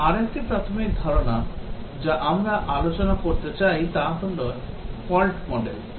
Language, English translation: Bengali, Now, another basic concept that we want to discuss is a Fault Model